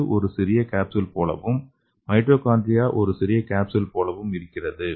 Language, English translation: Tamil, So the nucleus is looking like a small capsule and the mitochondria look like a small capsules